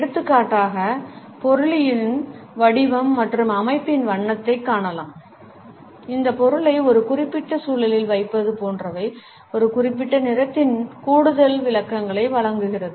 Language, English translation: Tamil, For example, the shape and the texture of the object on which the color is seen, the placing of this object in a particular environment etcetera also provide additional interpretations of a particular color